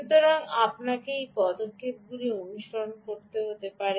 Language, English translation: Bengali, so you may have to follow these steps